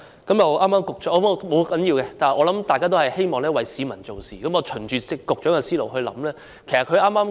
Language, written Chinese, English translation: Cantonese, 但不要緊，大家都希望為市民做事，我嘗試循着局長的思路來想。, But never mind . We share the same aspiration to work for the people . Let me try to follow the Secretarys train of thought